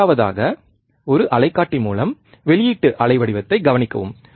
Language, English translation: Tamil, Third, with an oscilloscope observe the output waveform